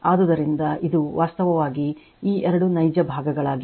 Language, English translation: Kannada, So, this is actually this two are real parts